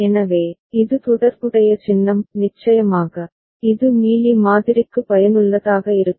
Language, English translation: Tamil, So, this is the corresponding symbol; of course, it is useful for Mealy model